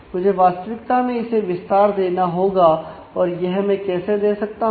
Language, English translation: Hindi, I need to actually expand this now how do I do that